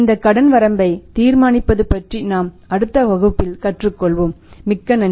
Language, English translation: Tamil, We will discuss these things also we learn about deciding the credit limit also but that too in the next class, thank you very much